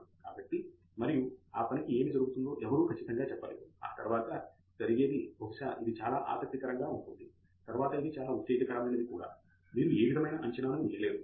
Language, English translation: Telugu, So, and nobody can be sure what will happen to that work after that, maybe it is very interesting, maybe it is not very exciting later on, you cannot predict anything